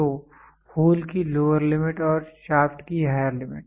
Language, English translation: Hindi, So, lower limit of hole, higher limit of shaft